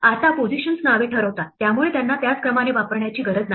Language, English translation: Marathi, Now the positions determine the names so they do not have to be used in the same order